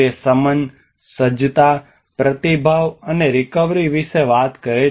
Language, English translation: Gujarati, It talks about mitigation, preparedness, response, and recovery